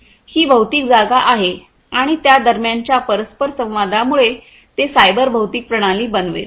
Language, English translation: Marathi, This is the physical space, right and the interaction between them will make it the cyber physical system